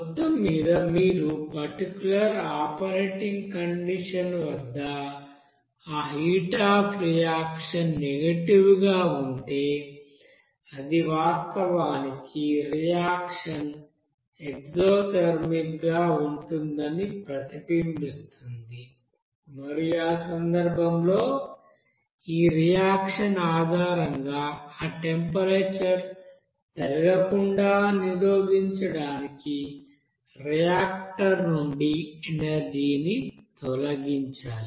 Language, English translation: Telugu, And overall if you have that heat of reaction at that particular operating condition as negative, it will actually reflect that reaction will be as exothermic and in that case energy must be removed from the reactor to prevent that temperature from the increasing based on this reaction